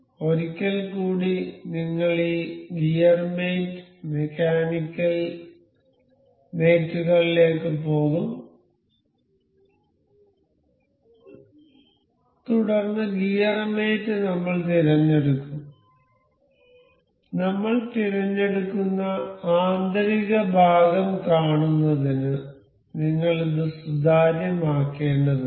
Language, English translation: Malayalam, So, once again we will go to this gear mate, mechanical, mechanical mates, then gear mate I will select we will have to make this transparent to see the inner part I will select click ok